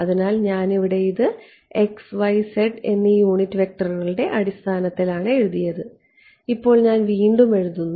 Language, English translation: Malayalam, So, over here it was written in terms of the unit vectors x y z now I am rewrite